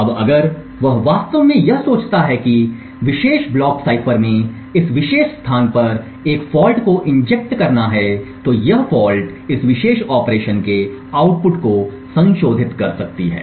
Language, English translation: Hindi, Now if he actually think that a fault is injected say at this particular location in this particular block cipher, this fault modifies the output of this particular operation